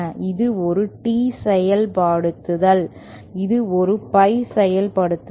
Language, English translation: Tamil, This is a T implementation, this is a pie implementation